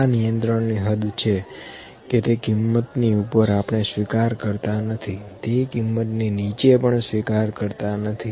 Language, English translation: Gujarati, This is the control limit above this value we cannot accept, below this value we cannot accept